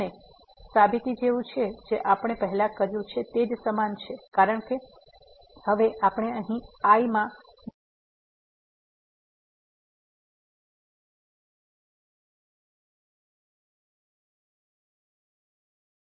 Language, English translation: Gujarati, And, the proof is similar to what we have already done before because, now we can consider two intervals here in this